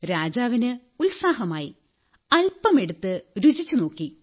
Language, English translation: Malayalam, The king was excited and he tasted a little of the dish